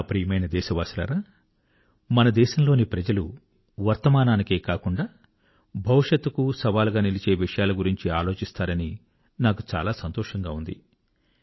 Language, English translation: Telugu, My dear countrymen, I am happy that the people of our country are thinking about issues, which are posing a challenge not only at the present but also the future